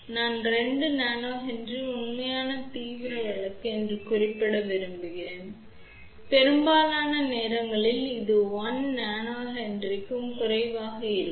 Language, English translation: Tamil, I just want to mention 2 Nano Henry is the real extreme case most of their time it will be a less than one a Nano Henry